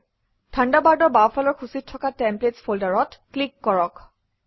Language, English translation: Assamese, From the Thunderbird left panel, click the Templates folder